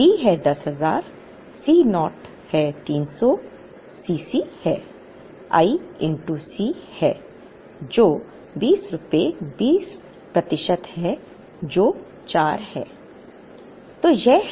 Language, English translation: Hindi, D is 10000 C naught is 300 C c is i into C which is 20 percent of rupees 20 which is 4